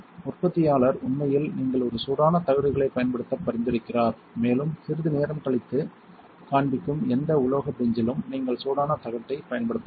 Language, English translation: Tamil, The manufacturer actually recommends that you use a hot plates and you can use a hot plate on any metal bench which well show a bit later